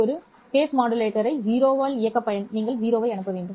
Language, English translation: Tamil, To operate a face modulator at 0 you have to send in 0